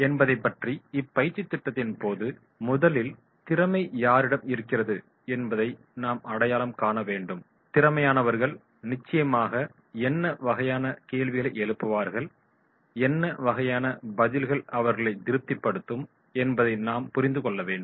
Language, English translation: Tamil, It means that we have to identify during our training program where is the talent, and those who are talented then definitely we have to understand that is what type of the questions may arise and what type of the answers will satisfy them